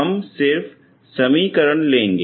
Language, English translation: Hindi, So we will just take the equation